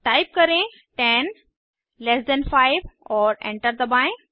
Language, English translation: Hindi, Type 10 slash 4 and press Enter